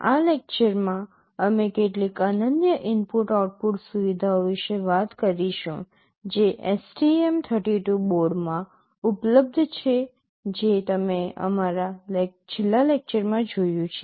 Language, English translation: Gujarati, In this lecture, we shall be talking about some of the unique input output features that are available in the STM32 board which you saw in our last lecture